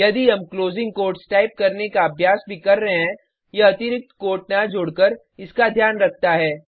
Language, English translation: Hindi, If we are accustomed to type the closing quotes also, it takes care of it by not adding the extra quote